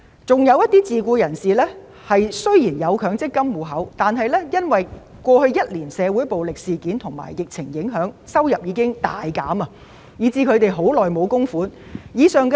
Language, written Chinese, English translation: Cantonese, 此外，自僱人士雖然有強積金戶口，但過去一年的社會暴力事件及疫情令其收入大減，已經很久沒有供款。, In addition although self - employed people have MPF accounts they have not made contributions for a long time as their incomes have been greatly reduced due to social violence and the epidemic in the past year